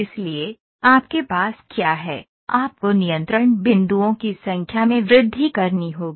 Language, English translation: Hindi, So, what you have do is, you have to keep increasing the number of control points